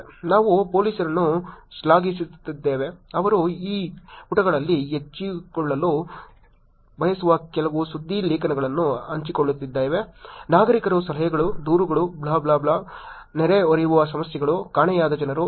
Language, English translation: Kannada, We are appreciating the police, sharing some news articles that they would like to share it on these pages, citizen tips, complaints, driving in wrong side at blah blah blah, neighborhood problems, missing people